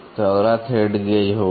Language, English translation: Hindi, So, the next one will be thread gauge